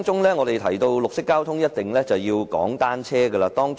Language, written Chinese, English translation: Cantonese, 一提到綠色交通，便一定要提及單車。, When we talk about green transport we must mention bicycles